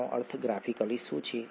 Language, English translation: Gujarati, What does this mean graphically